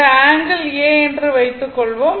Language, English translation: Tamil, Suppose this angle is A